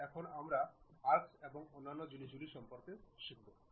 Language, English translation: Bengali, Now, we have learned about arcs and other thing